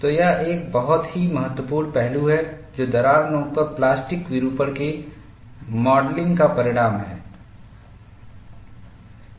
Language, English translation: Hindi, So, that is a very important aspect, which is outcome of modeling of plastic deformation at the crack tip